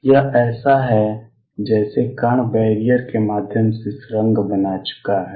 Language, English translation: Hindi, It is as if the particle has tunneled through the barrier